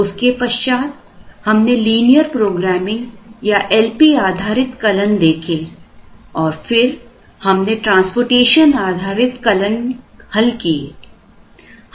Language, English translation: Hindi, Then, we looked at the linear programming or L P based algorithm, we then did the transportation based algorithm